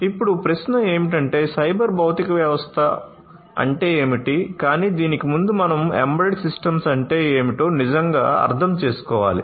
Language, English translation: Telugu, Now, the question is that what is a cyber physical system, but before that we need to really understand what is an embedded system